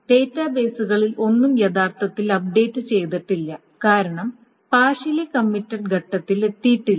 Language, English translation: Malayalam, Nothing in the database is actually being updated because the transaction has not reached the partial commit because there has been some failures